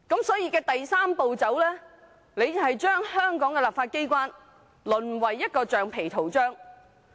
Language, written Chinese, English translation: Cantonese, 所以，第三步令香港立法機關淪為橡皮圖章。, Hence step three reduces the legislature of Hong Kong to a rubber stamp